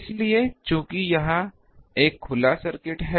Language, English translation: Hindi, So, since this is an open circuit